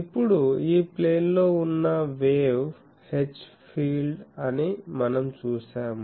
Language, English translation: Telugu, Now, we have seen that the wave H field that is in this plane